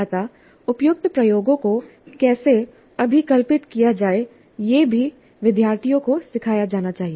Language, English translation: Hindi, And the students must be trained to design suitable experiments when required to